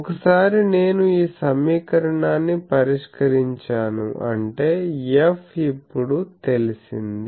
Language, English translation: Telugu, So, once I solve this equation; that means, F is now known